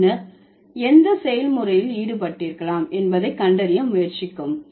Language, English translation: Tamil, Then try to find out which process might have involved